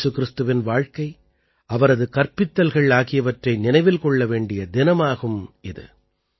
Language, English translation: Tamil, It is a day to remember the life and teachings of Jesus Christ